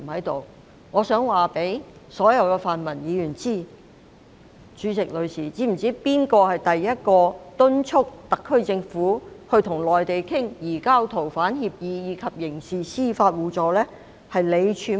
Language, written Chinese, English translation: Cantonese, 代理主席，我想問所有泛民議員，他們是否知悉第一個敦促特區政府跟內地商討移交逃犯協議及刑事司法互助的人是誰呢？, Deputy President I have this question for all Members of the pan - democratic camp Do they know who was the first one to urge the Special Administrative Region SAR Government to negotiate an agreement on the rendition of fugitive offenders and mutual legal assistance in criminal matters with the Mainland?